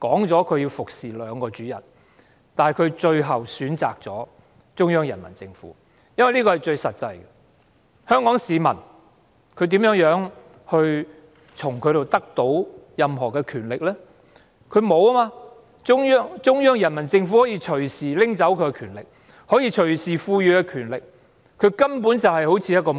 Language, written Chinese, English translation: Cantonese, 這是由於一個實際原因所致，便是香港市民無法奪去她手中的權力，但中央人民政府卻可以隨時奪去她手中的權力，亦可以隨時賦予她更大權力，她便一如婢女般。, This is due to a practical reason Hong Kong citizens cannot take away the power in her hands but the Central Peoples Government can do so at any time . It can also give her more power at any time . Hence she behaves like a housemaid